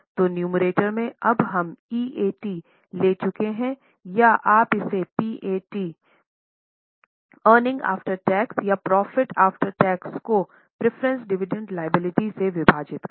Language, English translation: Hindi, So, numerator now we have taken EAT or you can also call it PAT, earning after tax or profit after tax divided by preference dividend liability